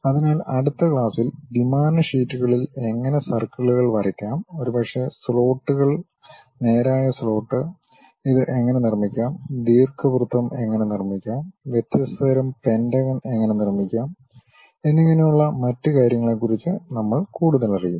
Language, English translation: Malayalam, So, in the next class we will learn more about other kind of things like how to draw circles on 2D sheets perhaps something like slots, straight slot how to construct it, how to construct ellipse, how to construct different kind of pentagonal kind of structures and other things